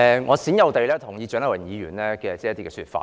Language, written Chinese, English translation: Cantonese, 我罕有地認同蔣麗芸議員的一些說法。, This is a rare occasion that I agree with some of the arguments presented by Dr CHIANG Lai - wan